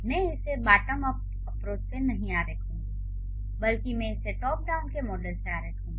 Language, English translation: Hindi, I am not going to draw it from bottom of approach, rather I will draw it from the top down model